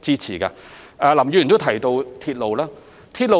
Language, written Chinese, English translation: Cantonese, 此外，林議員提到鐵路事宜。, Mr LAM also asked about the railway issue